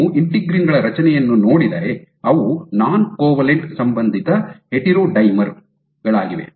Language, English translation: Kannada, So, if you look at the structure of integrins, they are non covalently associated heterodimers